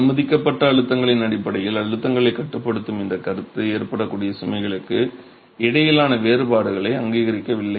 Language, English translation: Tamil, This concept of limiting the stresses in terms of the permissible stresses is does not recognize the differences between the loads that can occur